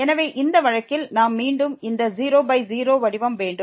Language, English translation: Tamil, So, in this case we have again this 0 by 0 form